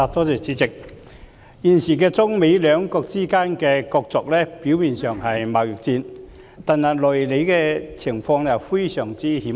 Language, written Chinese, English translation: Cantonese, 現時中、美兩國之間的角逐，表面上是貿易戰，但內裏的情況非常險惡。, The current wrestle between China and the United States appears to be a trade war on the surface but there are very perilous circumstances behind it